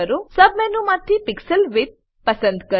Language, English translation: Gujarati, From the sub menu select Pixel Width